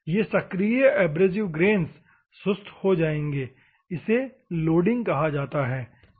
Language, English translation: Hindi, These active abrasive grains will become dull; this is called loading, ok